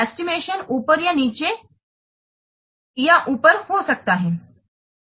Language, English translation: Hindi, The estimation can be a top down or bottom up